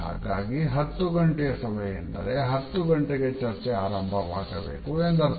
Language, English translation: Kannada, So, 10 O clock meeting means that the discussions have to begin at 10 o clock